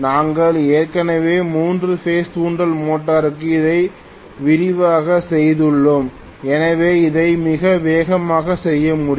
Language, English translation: Tamil, We had already done for three phase induction motor this in detail, so hopefully we should be able to do it quite fast